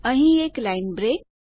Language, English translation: Gujarati, A line break here